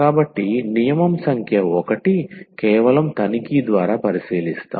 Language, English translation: Telugu, So, the rule number 1 is just by inspection